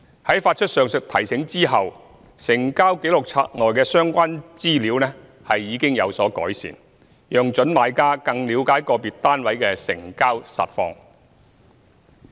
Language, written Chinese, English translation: Cantonese, 在發出上述"提醒"後，成交紀錄冊內的相關資料已有所改善，讓準買家更了解個別單位的成交實況。, Having issued the Reminder the situation has generally improved and prospective purchasers can better understand the actual transaction information of individual units